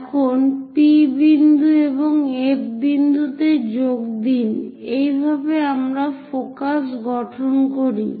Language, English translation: Bengali, Now join P point and F point; this is the way we construct focus